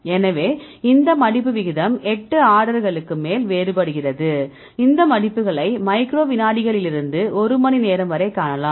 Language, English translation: Tamil, So, these folding rate vary over eight orders of magnitude right you can you can see these folds from microseconds to an hour